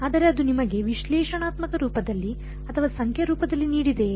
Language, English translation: Kannada, But it gave it to you in analytical form or numerical form